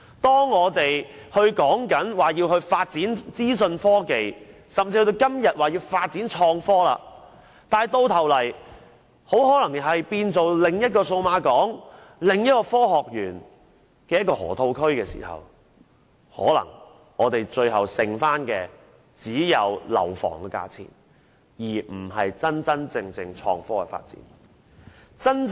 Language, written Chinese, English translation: Cantonese, 當我們說要發展資訊科技甚至創新科技時，種種措施到頭來卻很可能變成另一個數碼港、科學園、河套區，最後剩餘的可能只有樓房的價錢，而不是真正的創科發展。, We all say that efforts must be made to develop information technology and even innovation and technology but it is highly likely that measures proposed in this regard may well end up giving us another Cyberport Science Park Lok Ma Chau Loop and high property prices rather than real innovation and technology development will be the only thing left